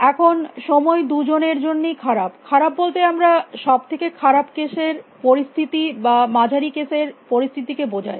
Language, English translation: Bengali, Now time is bad for both by bad we mean the worst case situation or the average case situation